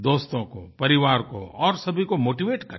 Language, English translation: Hindi, Try motivating friends & family